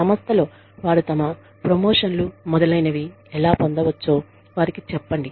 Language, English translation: Telugu, Tell them, how they can go ahead in the organization, how they can get their promotions, etcetera